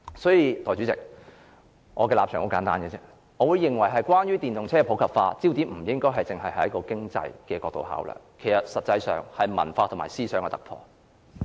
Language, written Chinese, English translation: Cantonese, 所以，代理主席，我的立場很簡單：我認為關於電動車普及化方面，焦點不應該只放在經濟角度上考慮，實際上應是文化和思想上的突破，謝謝。, Hence Deputy President my position is very simple the focus of the debate on the popularization of EVs should rather be on the cultural and ideological breakthrough than economic considerations . Thank you